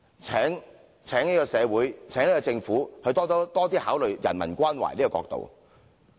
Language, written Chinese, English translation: Cantonese, 請這個社會和政府多加考慮人文關懷的角度。, I urge the community and the Government to better consider the perspective of humanistic care